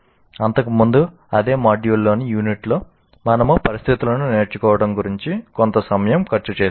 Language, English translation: Telugu, In our earlier unit in the same module, we spent something about learning situations